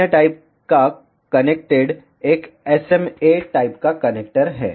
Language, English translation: Hindi, another type of connected is SMA type of connector